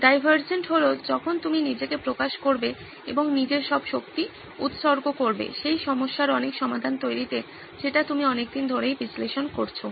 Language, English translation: Bengali, Divergent is when you open up and dedicate your energies into generating a lot of solutions for the problem that you’ve been analyzing so far